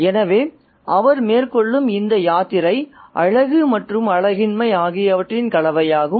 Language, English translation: Tamil, So, this pilgrimage that he undertakes is also a combination of the beautiful and this quality